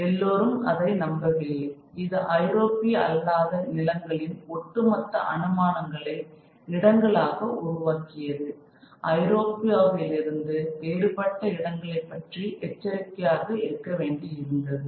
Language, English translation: Tamil, Now it's not that everybody believed it but this led into the this fed into as well as built upon the overall assumptions of these non European lands as places which one had to be cautious about places which were somehow different from Europe